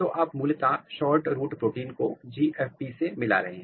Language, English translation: Hindi, So, this is you are basically fused SHORTROOT protein with the GFP